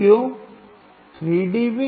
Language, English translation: Hindi, Why 3 dB